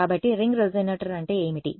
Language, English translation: Telugu, So, what is the ring resonator